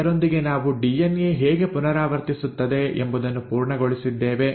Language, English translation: Kannada, So with that we have covered how DNA replicates itself